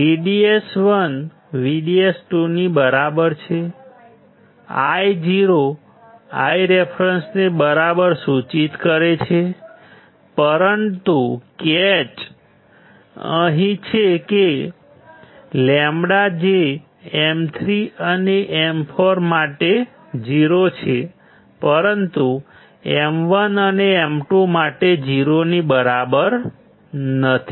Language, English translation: Gujarati, VDS one equals to VDS 2, implies Io equals to I reference right, but the catch is here that, lambda for M 3 and M 4 is 0, but for M1 and M 2 is not equal to 0